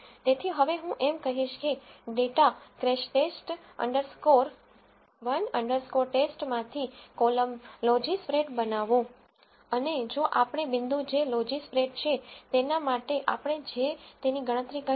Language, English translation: Gujarati, So, now, I am going to say that from the data crashTest underscore 1 under score test create a column call logispred and if the value that we have calculated for that point which is logispred, if that is less than or equal to 0